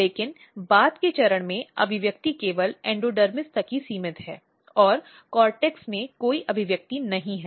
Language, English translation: Hindi, But at the later stage the expression is only restricted to the endodermis, and there is no expression in the cortex